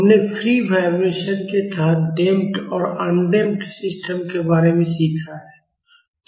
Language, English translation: Hindi, So in free vibrations, we initially learned about undamped systems and then we moved on to damped system